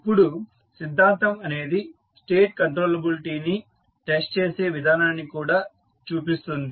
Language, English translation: Telugu, Now, theorem also gives the method of testing for the state controllability